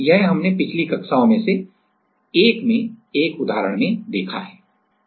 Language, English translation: Hindi, Then, we saw that one example in one of the previous classes